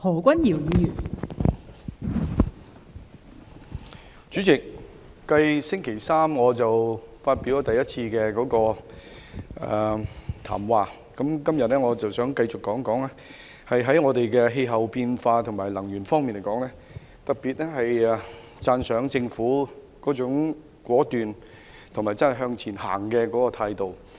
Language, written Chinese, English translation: Cantonese, 代理主席，繼在星期三第一次發言後，今天我繼續談談氣候變化及能源問題，我特別讚賞政府的果斷及向前走的態度。, Deputy President following my first speech on Wednesday today I would like to discuss climate change and energy problems . I particularly appreciate the Governments determination and forward - looking attitude